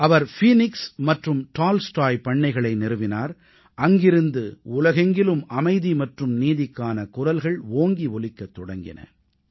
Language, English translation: Tamil, He also founded the Phoenix and Tolstoy Farms, from where the demand for peace and justice echoed to the whole world